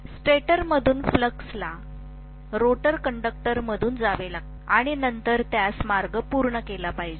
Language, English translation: Marathi, From the stator, the flux has to flow through the rotor conductors and then it should complete the path